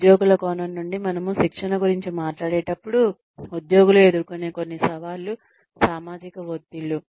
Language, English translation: Telugu, When we talk about training, from the perspective of the employees, some challenges, that employees face are, social pressures